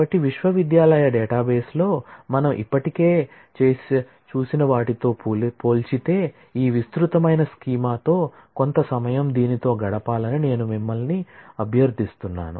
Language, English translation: Telugu, So, with this I would request you to spend some time with this relatively elaborated schema compared to what we have done already of the university database